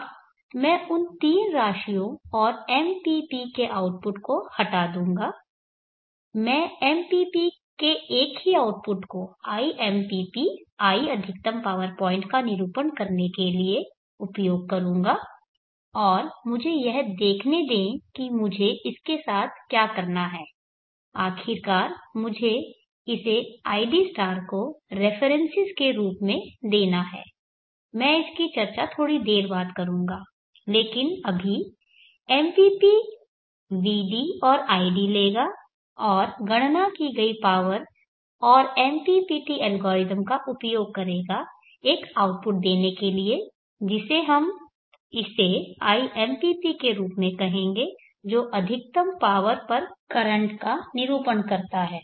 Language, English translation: Hindi, So this is the control principle that we use, now I will remove those three quantities and output of the MPP I will use a single output of the MPP to indicate to represent iMPP I at maximum power point and let me see what I have to do with that ultimately I have to give it as a references to id* I will discuss that a bit later but right now the MPP will taking vd and id and use the power calculated to and the MPPT algorithm to give out an output which we will call it as iMPP which represents the current at maximum power